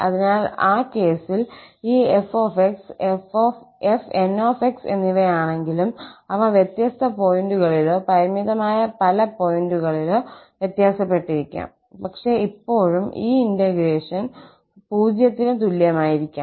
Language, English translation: Malayalam, So, in that case, though this f and fn, they may differ marginally at different points or at finitely many points but still this integration may be equal to 0